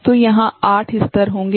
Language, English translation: Hindi, So, there will be 8 levels